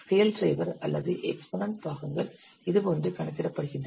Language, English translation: Tamil, The scale drivers or the exponent parts are computed like this